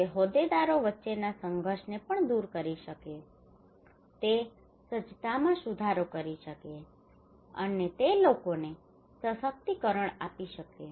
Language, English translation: Gujarati, It can also resolve conflict among stakeholders; it can improve preparedness, and it could empower the people